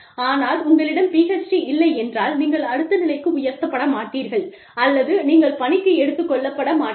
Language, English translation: Tamil, But, if you do not have a PhD, you will not be promoted to the next level, or, you may not even be taken in